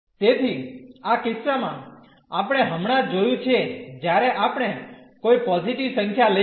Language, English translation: Gujarati, So, in this case we have just seen when we have taken any positive number